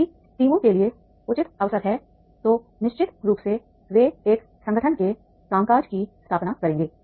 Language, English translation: Hindi, If there are the reasonable opportunities to the teams, then definitely they will establish the working of an organization